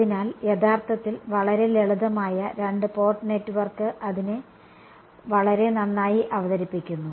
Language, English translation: Malayalam, So, actually a very simple two port network also drives home this picture very well right